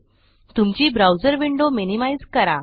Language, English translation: Marathi, Minimize your browser window